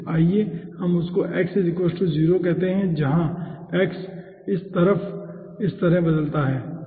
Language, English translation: Hindi, at this point let us call that 1 as x equals to 0